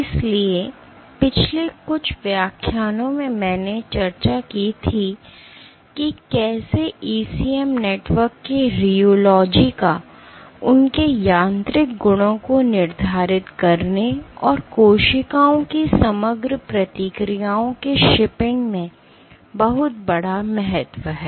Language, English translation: Hindi, So, in the last few lectures I had discussed how rheology of ECM networks has a huge importance in dictating their mechanical properties, and in shipping the overall responses of the cells